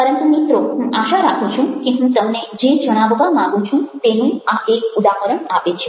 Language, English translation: Gujarati, but i hope that, ah, this just gives you an example of what i am trying to share with you